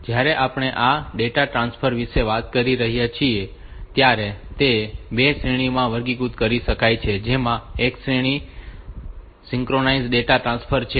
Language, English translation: Gujarati, When we are talking about this data transfer, so it can be classified into two categories, one category is synchronous data transfer